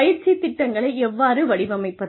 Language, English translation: Tamil, How do we design, training programs